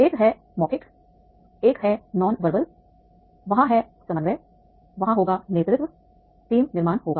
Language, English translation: Hindi, One is the verbal, one is the non verbal, there is the coordination, there will be the leadership, there will be the team building